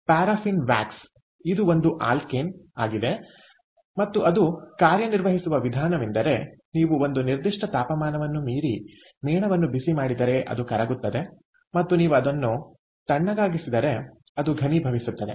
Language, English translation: Kannada, it is an alkane and the way it works is, as you know, that if you heat the wax beyond a certain temperature, it melts, and if you cool it down, it solidifies, right